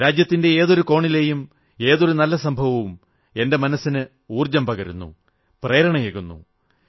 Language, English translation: Malayalam, Any commendable incident from any part of the country infuses my heart with energy and inspires me